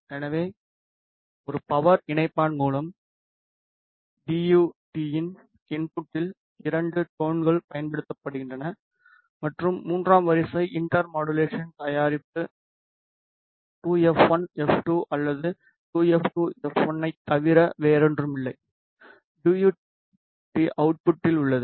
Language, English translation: Tamil, So, there are two tones applied at the input of the DUT through a power combiner and the third order inter modulation product which is nothing but twice f 1 minus f 2 or twice f 2 minus f 1 is present at the DUT output